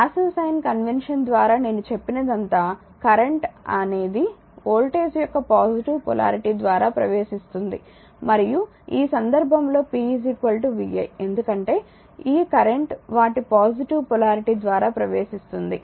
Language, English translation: Telugu, Now whatever I told right by the passive sign convention current enters through the positive polarity of the voltage and this case p is equal to vi, because this current is entering through their positive polarity